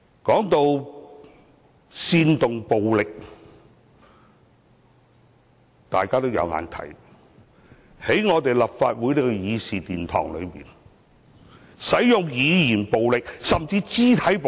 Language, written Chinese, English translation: Cantonese, 談到煽動暴力，大家有目共睹，是誰在立法會的議事堂內，使用語言暴力，甚至肢體暴力？, Speaking about the incitement of violence that is something everyone can see . Who has been using verbal violence or even physical violence in this Chamber of the Legislative Council?